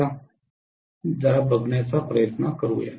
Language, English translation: Marathi, Let us try to take a look